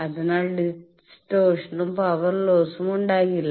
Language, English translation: Malayalam, So, no distortion will be there no power lost will be there